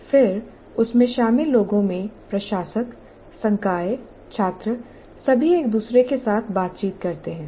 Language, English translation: Hindi, And then the people in that, the administrators, the faculty, the students all interact with each other